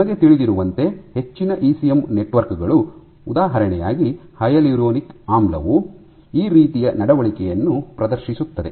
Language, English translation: Kannada, So, this is what you know this is what most ECM networks will exhibit this like hyaluronic acid will exhibit this kind of behavior